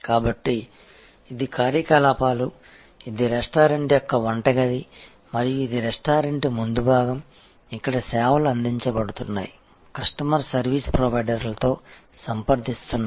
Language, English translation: Telugu, So, this is the operations, this is a kitchen of a restaurant and this is the front side of the restaurant, where services are being offered, customer is in contact with service providers